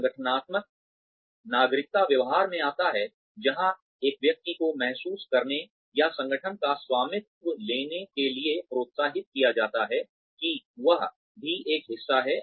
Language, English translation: Hindi, Organizational citizenship behavior comes in, where a person is encouraged to feel or to take ownership of the organization that one is a part of